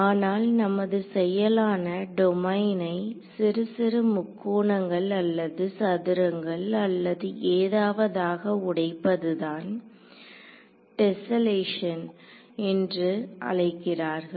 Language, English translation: Tamil, We call them elements also, but the act of breaking up a domain in to little little triangles or squares or whatever is called tesselation